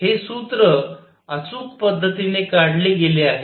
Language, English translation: Marathi, This formula is derived in an exact manner